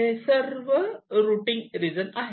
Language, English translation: Marathi, ok, these are all routing regions